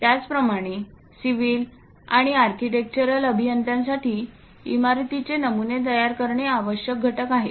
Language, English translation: Marathi, Similarly, for civil and architectural engineers, constructing building's patterns is essential components